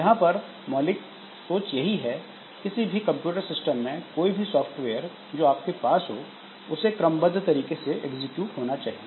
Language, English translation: Hindi, So this is the basic assumption that any in a computer system, so any software that you have so that executes in a sequential fashion